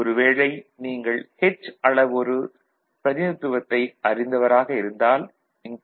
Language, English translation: Tamil, Otherwise those who are familiar with h parameter representation this is nothing but the hie in the h parameter to put a representation